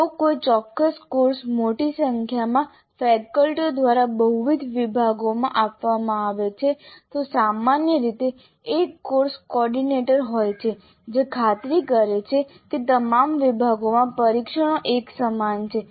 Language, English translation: Gujarati, And if a particular course is being offered by a larger number of faculty to multiple sections, then usually there is a course coordinator who ensures that the tests are uniform across all the sections